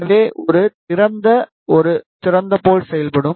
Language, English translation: Tamil, So, an open will act like a open